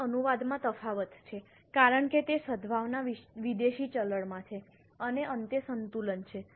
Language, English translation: Gujarati, There is currency translation differences because that goodwill is in foreign currency and the balance at the end